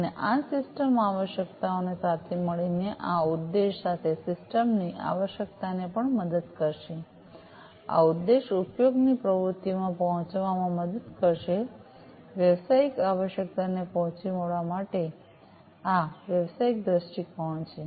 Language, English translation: Gujarati, And this will also help these system requirements together with this objective the system requirement together, with this objective will help in arriving at the usage activities, for meeting the business requirements so, this is the business viewpoint